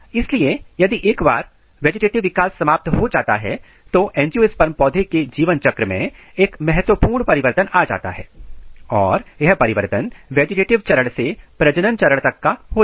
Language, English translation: Hindi, So, once this vegetative process is completed, vegetative development is completed a major transition occurs in the life cycle of an angiosperm plant and then transition is from vegetative phase to reproductive phase